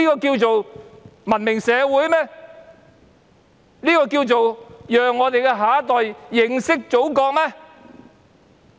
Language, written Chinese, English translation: Cantonese, 《條例草案》能讓我們的下一代更認識祖國嗎？, Can the Bill enable our next generation to have a better understanding of the Motherland?